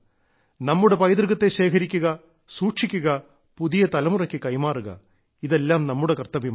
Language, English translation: Malayalam, It is our collective duty to cherish our heritage, preserve it, pass it on to the new generation…